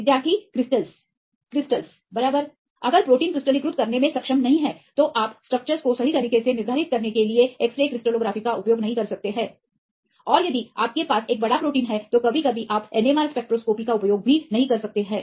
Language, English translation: Hindi, Crystal right if protein is not able to crystallize, then you cannot use xray crystallography for determining the structures right and if you have a give big proteins right sometimes you cannot use NMR spectroscopy